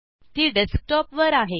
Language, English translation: Marathi, It is on the Desktop